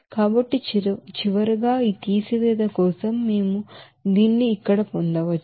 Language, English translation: Telugu, So finally, we can get this here for this subtraction